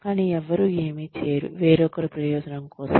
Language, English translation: Telugu, Come on, nobody does anything, for anyone else's benefit